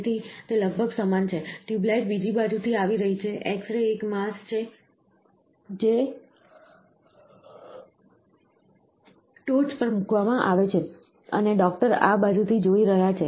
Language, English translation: Gujarati, So, it is almost the same, the tube light is coming from the other side, the x ray is a mass which is put on the top, and the doctor is viewing from this side